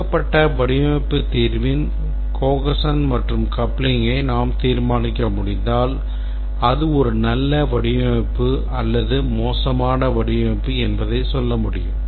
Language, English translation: Tamil, If we can determine the cohesion and coupling of a given design solution, we can tell whether that's a good design or bad design